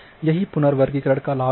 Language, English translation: Hindi, So, this is the advantage of reclassification